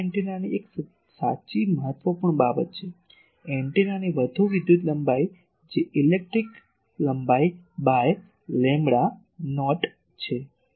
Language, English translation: Gujarati, So, this is an important thing true of all antennas, that more electrical length of the antenna what is electrical length the length by lambda not